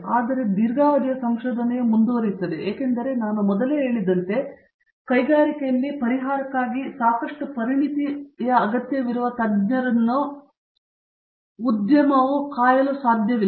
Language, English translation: Kannada, But, long term research continues because as I said earlier, the industry cannot wait for expert solution that requires lot of expertise in handling